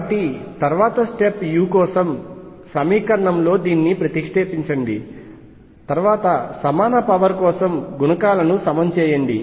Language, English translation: Telugu, Substitute this in the equation for u, then equate coefficients for the equal powers of r